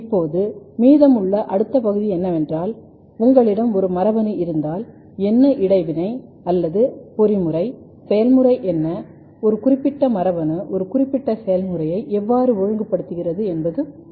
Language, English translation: Tamil, Now, the next part what is remaining in this one is that, if you have a gene what is the next and next will be the gene interaction study or the mechanism, what is the mode of action, how a particular gene is regulating a particular process this is important